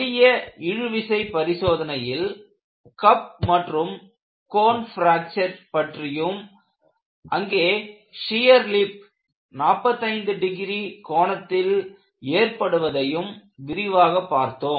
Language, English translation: Tamil, And we had seen in some detail, that in the case of a simple tension test, you have a cup and cone fracture, and I pointed out that, you have a shear lip and this happens at 45 degrees